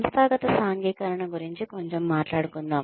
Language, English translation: Telugu, Let us talk a little bit about, organizational socialization